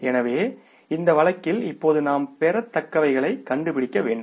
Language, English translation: Tamil, So, in this case now we will have to find out the accounts receivables